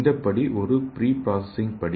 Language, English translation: Tamil, So this step is a pre processing step